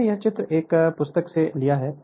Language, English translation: Hindi, This diagram I have taken from a book right